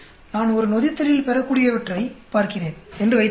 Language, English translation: Tamil, Suppose, I am looking at the product yield in a fermentation